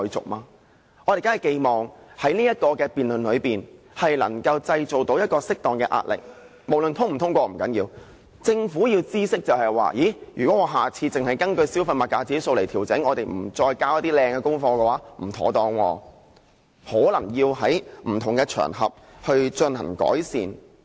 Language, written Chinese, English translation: Cantonese, 我們當然寄望在這個辯論中能夠製造適當的壓力，無論通過與否也不重要，讓政府知悉，如果下次只根據丙類消費物價指數來調整，不再交出好的功課時，那樣便不妥當，可能要在不同場合進行改善。, Honourable Members it also carries the meaning of resumption . Irrespective of the passage or otherwise of the motion we certainly hope to exert an appropriate degree of pressure in this debate so as to enable the Government to realize that it will be undesirable if it fails to hand in a better assignment again next time when introducing adjustment solely based on CPIC and it may have to undertake improvements on other occasions